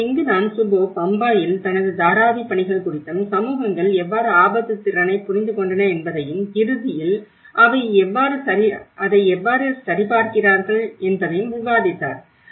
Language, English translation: Tamil, So, this is where Shubho have discussed about his Dharavi work in Bombay and how the communities have understood the risk potential and how they cross verified it at the end